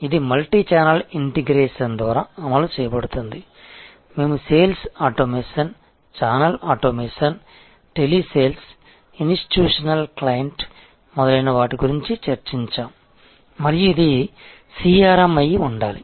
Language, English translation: Telugu, This is executed by the multichannel integration, that we discussed sales automation, channel automation telesales institutional clients and so on and this is, this should be CRM